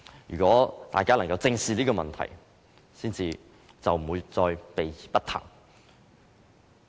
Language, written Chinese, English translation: Cantonese, 如果大家能正視這問題，便不會再避而不談。, If people can face the problem squarely they will not avoid talking about it